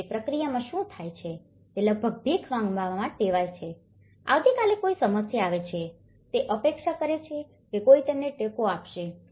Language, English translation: Gujarati, And in that process, what happens is they almost accustomed to kind of begging, tomorrow any problem comes they are expecting someone will support them